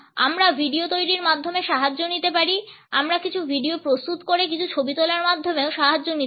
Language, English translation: Bengali, We can take the help of the preparation of videos; we can take the help by preparing certain videos, by taking certain photographs also